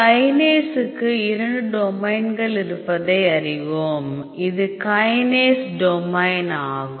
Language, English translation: Tamil, So, as we all know kinase has two domains this is the kinase domain